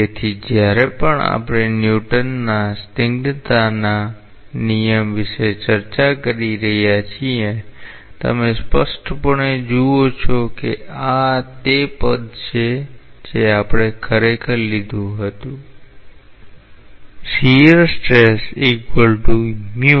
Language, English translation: Gujarati, So, whenever we have discussed about the Newton s law of viscosity; you clearly see that this is the term that we had actually taken